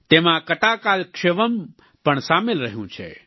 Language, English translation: Gujarati, 'Kathakalakshepam' has been part of it